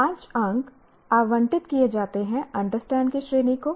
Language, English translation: Hindi, Five marks are allocated to understand category